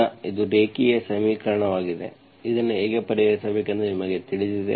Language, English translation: Kannada, So now this is a linear equation, you know how to solve this